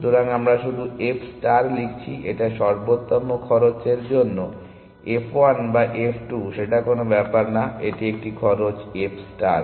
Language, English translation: Bengali, So, we are just writing f star it has does not matter f 1 or f 2 it is a optimal cost f star is starts for the optimal cost